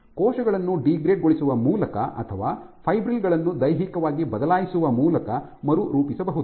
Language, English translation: Kannada, So, cells can remodel by degrading or by physically changing the fibrils